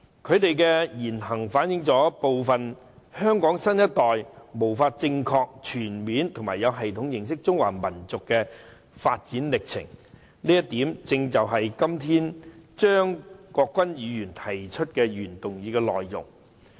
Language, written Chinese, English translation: Cantonese, 他們的言行反映部分香港新一代無法正確、全面及有系統地認識中華民族的發展歷程，這一點正是張國鈞議員今天提出的原議案的內容。, Their words and acts reflect that some youngsters of the new generation in Hong Kong are unable to get to know the development process of the Chinese nation in a correct comprehensive and systematic manner . This is precisely a point made in the original motion moved by Mr CHEUNG Kwok - kwan today